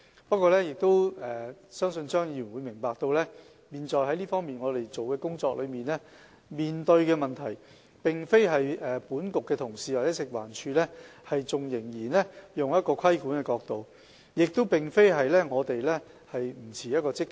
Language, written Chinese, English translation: Cantonese, 不過，我希望張議員明白，我們現時所做的工作和面對的問題，並非因為本局同事或食環署仍然從規管者的角度出發，亦並非因為我們的態度不積極。, However I hope Mr CHEUNG will understand that what we are now doing or the problem we are now facing is not related to the fact that colleagues of this Bureau or FEHD still adopt the perspective of a regulator or that our attitude is not proactive enough